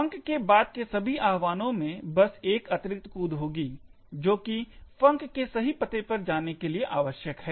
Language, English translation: Hindi, All subsequent invocations of func would just have an additional jump is required to jump to the correct address of func